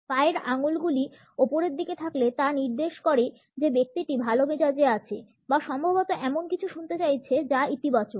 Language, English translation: Bengali, Toes pointing upwards suggest that the person is in a good mood or is likely to hear something which is positive